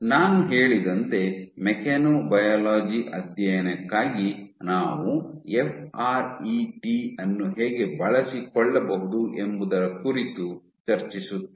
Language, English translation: Kannada, I will said that I would next come to how can we make use of FRET for mechanobiology studies